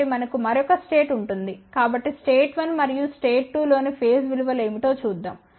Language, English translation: Telugu, So, then we will have another state so let's see what are the face values in state 1 and state 2